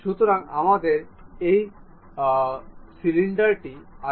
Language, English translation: Bengali, So, we have this cylinder